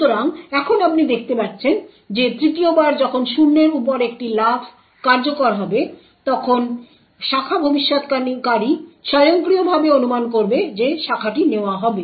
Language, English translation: Bengali, So, now you see that the 3rd time when that a jump on no zero gets executed the branch predictor would automatically predict that the branch would be taken